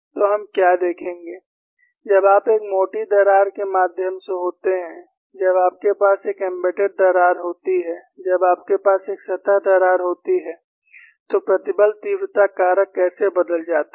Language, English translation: Hindi, So, what we will look at is, when you have a through the thickness crack, when you have an embedded crack, when you have a surface crack, how the stress intensity factors changes